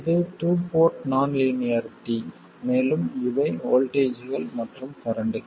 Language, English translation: Tamil, This is a two port non linearity and these are the voltages and currents